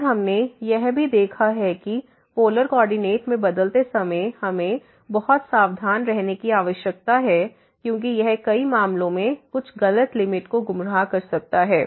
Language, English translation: Hindi, And what we have also observed that we need to be very careful while changing to polar coordinate, because that may mislead to some wrong limit in min many cases